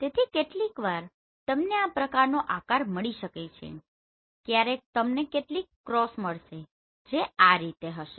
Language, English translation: Gujarati, So sometimes you may find this kind of shape sometimes you will find some cross sometimes it will be like this right